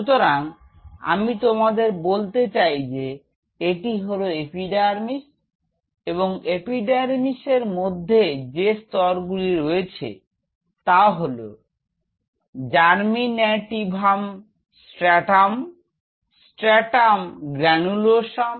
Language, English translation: Bengali, And within an epidermis the layers are this is stratum Germinativum stratum this one is Stratum Granulosum in between is Stratum Spinosum, Stratum Lucidum, and Stratum Corneum